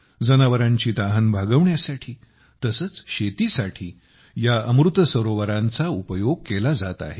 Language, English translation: Marathi, Amrit Sarovars are being used for quenching the thirst of animals as well as for farming